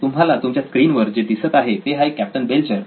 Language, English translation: Marathi, What you see on the screen is Captain Belcher